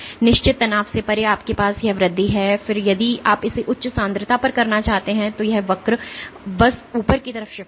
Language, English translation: Hindi, Beyond the certain strain you have this increase and then if you were to do it at the higher concentration this curve will just shift upwards